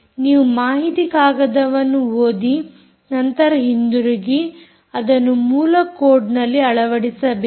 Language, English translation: Kannada, you have to read the datasheet, go back and implement it in source code